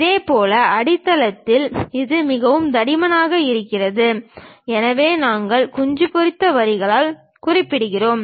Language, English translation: Tamil, Similarly at basement it is very thick, so that also we represented by hatched lines